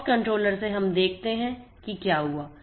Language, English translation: Hindi, Now, the POX controller is listening